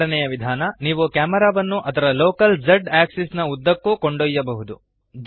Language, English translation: Kannada, Second way, you can move the camera along its local z axis